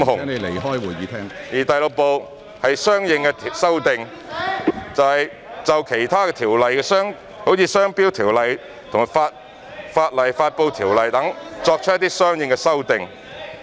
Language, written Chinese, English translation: Cantonese, 《條例草案》第6部是"相應修訂"，是就其他條例，即《商標條例》和《法例發布條例》作出的相應修訂。, Part 6 of the Bill is Consequential Amendments which contains consequential amendments to other ordinances namely the Trade Marks Ordinance and the Legislation Publication Ordinance